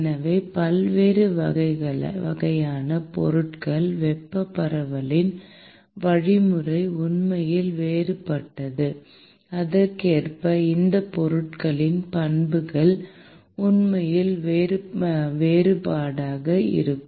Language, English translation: Tamil, So, different types of materials the mechanism of thermal diffusion is actually different; and accordingly the properties of these materials would actually be different